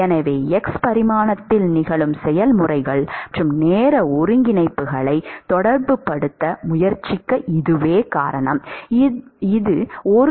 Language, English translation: Tamil, So, this is the reason for trying attempting to relate the processes which are occurring in x dimension, and the time coordinates